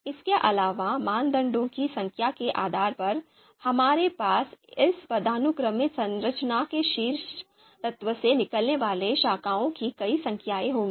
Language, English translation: Hindi, So depending on the number of criteria, we will have you know those numbers of branches coming out from the you know top element of this structure, this hierarchical structure